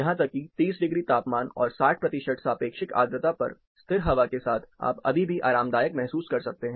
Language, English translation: Hindi, Even with at 30 degrees and 60 percent of relative humidity, with still air, you can still be comfortable